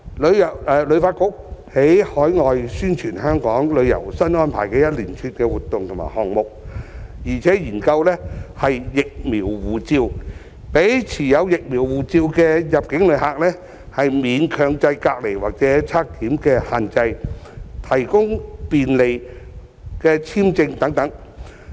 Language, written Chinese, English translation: Cantonese, 旅發局在海外宣傳香港旅遊新安排的一連串活動和項目，並且研究"疫苗護照"，讓持有"疫苗護照"的入境旅客免強制隔離或檢測限制，提供便利的簽證等。, HKTB is now undertaking a series of activities and programmes in overseas countries to promote the new arrangements for visiting Hong Kong while also exploring the idea of introducing a vaccine passport to provide inbound visitors holding a vaccine passport with exemption from compulsory quarantine or testing restrictions and offering convenient visa arrangements